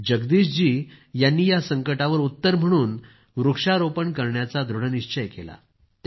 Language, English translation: Marathi, Jagdish ji decided to solve the crisis through tree plantation